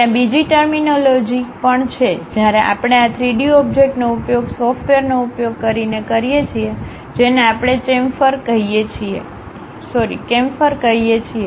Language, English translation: Gujarati, There is other terminology also we use, when we are constructing these 3D objects using softwares, which we call chamfer